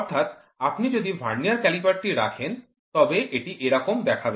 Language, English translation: Bengali, So, if you put a vernier caliper, it will look something like this